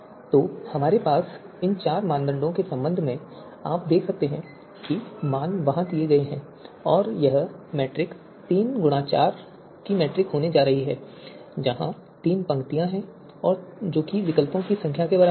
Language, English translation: Hindi, So with respect to these four criteria that we have you can see the values have been given there and this matrix is going to be a three cross four you know matrix, where three is the number of rows which is equal to equal equivalent to the number of alternatives